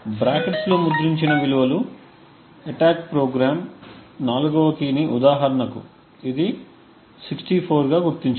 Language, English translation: Telugu, The values printed within the brackets are what the attack program has identified the 4th key which is 64 for instance